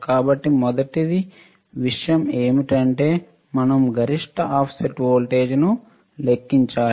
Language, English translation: Telugu, So, the first thing is we have to calculate the maximum offset voltage